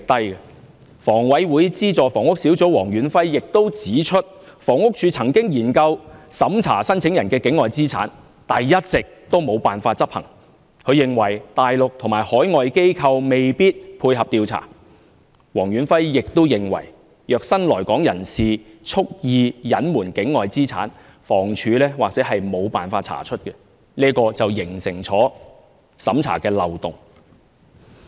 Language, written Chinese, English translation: Cantonese, 香港房屋委員會轄下的資助房屋小組委員會主席黃遠輝亦指出，房署曾研究審查申請人的境外資產，但一直也沒有辦法執行，他認為大陸及海外機構未必配合調查，黃遠輝亦認為，如新來港人士蓄意隱瞞境外資產，房署或許沒有辦法查出，形成審查的漏洞。, Mr Stanley WONG Chairman of the Subsidised Housing Committee of the Hong Kong Housing Authority has also said that HD had studied the feasibility of vetting the assets of applicants outside Hong Kong but that had not been put in to practice . He thinks that Mainland and overseas institutions may not be willing to cooperate with the scrutiny . Mr Stanley WONG also thinks that if new arrivals conceal their assets outside Hong Kong deliberately HD may not be able to find them out and that would become a loophole in the vetting and approval process